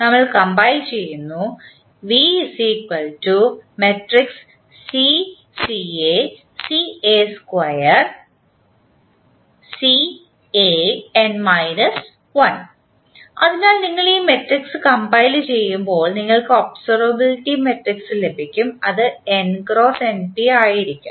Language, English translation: Malayalam, So, when you compile this matrix you get the observability matrix which will be n into n cross np